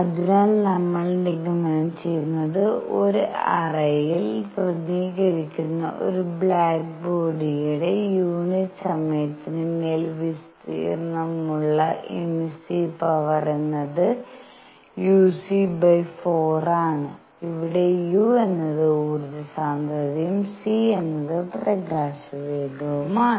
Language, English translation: Malayalam, So, what we conclude is for a black body represented by a cavity emissive power over area per unit time is u c by 4; where u is the energy density and c is the speed of light